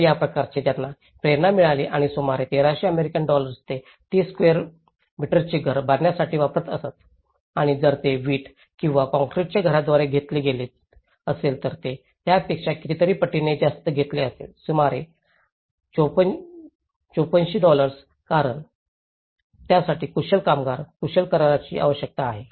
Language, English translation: Marathi, So, that kind of inspiration it has motivated them and about 1300 US dollars it used to take construct a 30 square meter house and if it was taken by a brick or concrete house, it would have taken more than nearly, thrice the amount which is about 5400 dollars because which needs a skilled labour, skilled contract